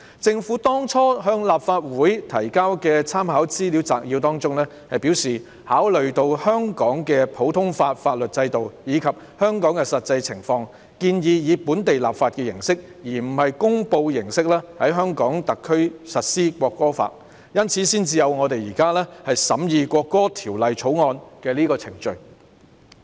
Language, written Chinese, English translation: Cantonese, 政府在當初向立法會提交的參考資料摘要中表示，考慮到香港的普通法法律制度，以及香港的實際情況，建議以本地立法形式而非公布形式在香港特區實施《國歌法》，因此才有我們現在審議的《條例草案》。, In the Legislative Council Brief submitted at the outset the Government stated that having regard to the common law system practised in Hong Kong as well as the actual local circumstances it proposed to implement the National Anthem Law in the Hong Kong Special Administrative Region by local legislation instead of promulgation . That is why the Bill under our consideration now came into being